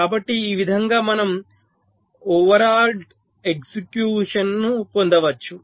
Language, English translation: Telugu, so in this way we can get overlapped execution